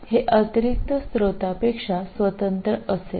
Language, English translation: Marathi, This will be independent of the additional source